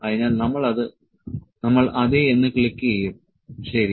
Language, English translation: Malayalam, So, we click yes, ok